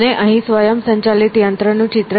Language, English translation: Gujarati, And, here is the picture of the automaton